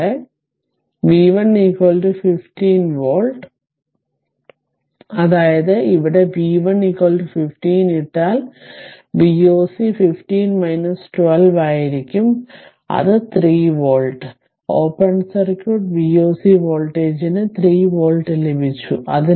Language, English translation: Malayalam, And V 1 is equal to 15 volt that means if you put v 1 is equal to 15 here, so V o c will be 15 minus 12 that is your 3 volt right that means, open circuit V o c voltage you got 3 volt